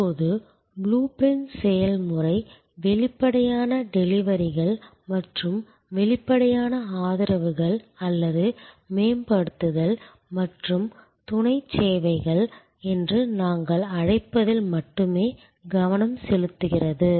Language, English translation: Tamil, Now, the blue print process only focuses on explicit deliveries and explicit supports or what we call enhancing and supplement services